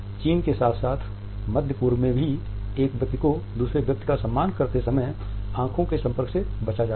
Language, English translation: Hindi, In China as well as in Middle East a one has to pay respect to the other person, the eye contact is normally avoided